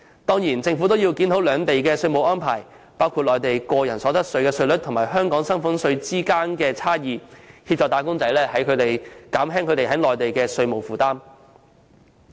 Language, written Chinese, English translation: Cantonese, 當然，政府也要檢討兩地的稅務安排，包括內地個人所得稅稅率與香港薪俸稅率之間的差異，協助"打工仔"減輕他們在內地的稅務負擔。, The Government should also review the taxation arrangements of the two places including the differences between the individual income tax rate on the Mainland and the salaries tax rate in Hong Kong so as to help wage earners to alleviate their tax burden on the Mainland